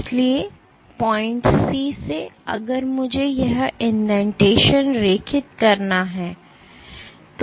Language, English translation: Hindi, So, if I were to draw this is indentation